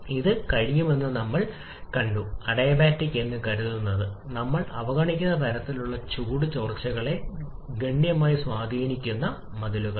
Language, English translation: Malayalam, We have seen that this can have significant effect those kinds of heat leakages that we are neglecting assuming adiabatic walls